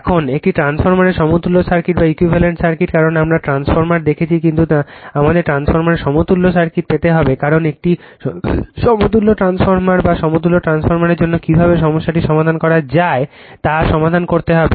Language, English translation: Bengali, Now, equivalent circuit of a transformer because we have seen transformer, but we have to obtain the equivalent circuit of transformer because you have to solve problem how to solve the problem for an equivalent transformer or a equivalent transformer